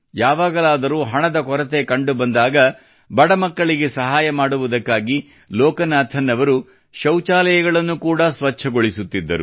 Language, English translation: Kannada, When there was shortage of money, Loganathanji even cleaned toilets so that the needy children could be helped